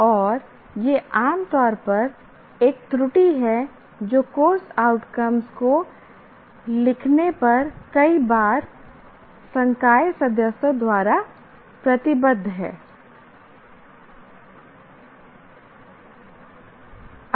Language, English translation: Hindi, And this is a generally an error that is committed by when first time many faculty members write the course outcomes